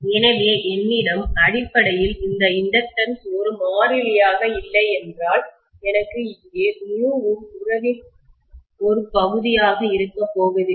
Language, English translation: Tamil, So I have basically this inductance is not a constant means I am also not going to have here mu comes in as the part of the relationship